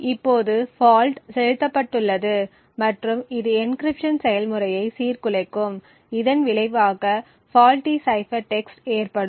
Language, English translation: Tamil, Now the fault is injected and it would disturb the encryption process resulting in a faulty cipher text